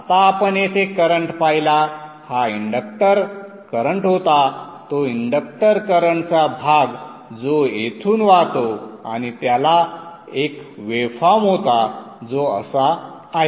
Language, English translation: Marathi, Now we saw the current here this was the inductor current that portion of the inductor current which is flowing through here and it had a waveform which is like this